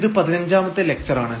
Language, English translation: Malayalam, And this is lecture number 15